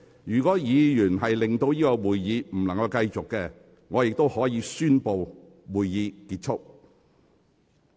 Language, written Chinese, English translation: Cantonese, 如果議員的行為令會議無法繼續，我亦可以宣布會議結束。, Besides should any Member act in a way that renders it impossible to carry on with the proceedings I may announce that the meeting be adjourned